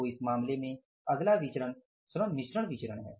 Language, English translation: Hindi, So, in this case next variance is the LMB, labor mixed variance